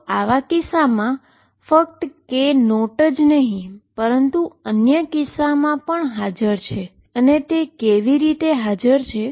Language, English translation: Gujarati, So, not only k naught is present in such case other case also present, and how are they present